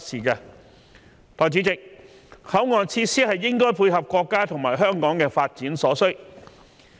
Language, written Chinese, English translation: Cantonese, 代理主席，口岸設施應該配合國家與香港的發展所需。, Deputy President port area facilities should facilitate the development of both the country and Hong Kong